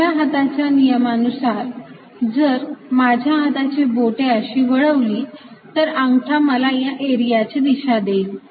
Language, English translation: Marathi, that means if i curl my fingers around the path, the thumb gives me the direction of the area